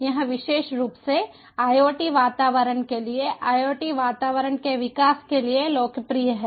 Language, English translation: Hindi, its popular particularly for iot environments, for the development of iot environments